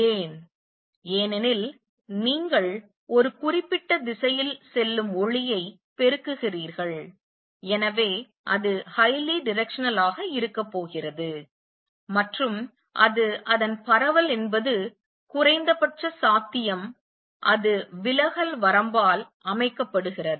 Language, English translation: Tamil, Why because you are amplifying the light going in one particular direction, so it is going to be highly directional and also it is so because its spread is minimum possible that is set by the diffraction limit